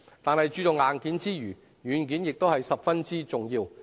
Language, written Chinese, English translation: Cantonese, 但是，在注重硬件之餘，軟件也是十分重要。, However while attaching importance to the hardware the software of tourism is also very important